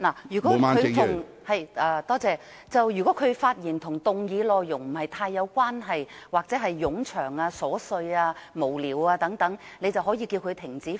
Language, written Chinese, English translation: Cantonese, 如果議員的發言內容與議題不太相關，或作出冗長、瑣屑無聊的發言，你可以要求議員停止發言。, If a Members speech is irrelevant to the subject or he raises tedious or frivolous arguments you may direct him to discontinue his speech